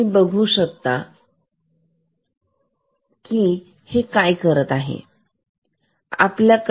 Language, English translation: Marathi, So, just you see what we do